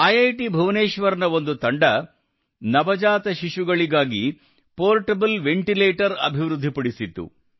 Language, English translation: Kannada, For example, a team from IIT Bhubaneswar has developed a portable ventilator for new born babies